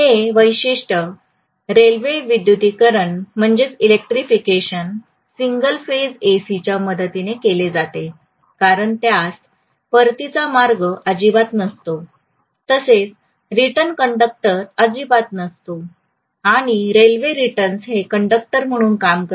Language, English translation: Marathi, This particular railway electrification is done with the help of single phase AC because the return route is not there at all, return conductor is not there at all, the rail serves as a return conductor